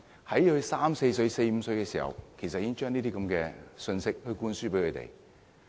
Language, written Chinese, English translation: Cantonese, 在小孩三四歲、四五歲的時候，已經將這樣的信息灌輸給他們。, Children are already indoctrinated with such messages when they are aged between three and five